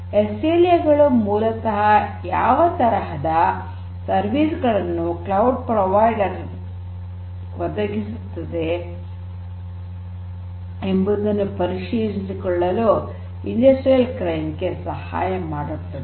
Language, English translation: Kannada, So, SLAs basically help the industrial clients to check what and how the cloud provider gives as services